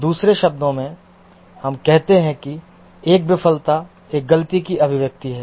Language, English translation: Hindi, In other words, we say that a failure is a manifestation of a fault